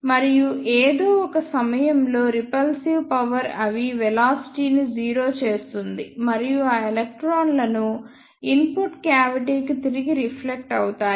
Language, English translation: Telugu, And at some point the repulsive force will make their velocity 0 and reflect those electrons back to the input cavity